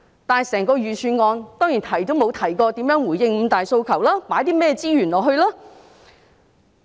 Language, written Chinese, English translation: Cantonese, 可是，整份預算案當然沒提及如何回應"五大訴求"，以及該投放甚麼資源。, Nevertheless the Budget certainly will not mention how the five demands should be responded to and what resources should be allocated in this respect